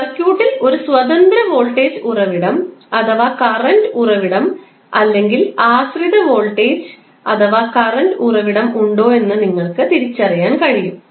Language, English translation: Malayalam, So, with this you can differentiate whether in the circuit there is a independent voltage or current source or a dependent voltage and current source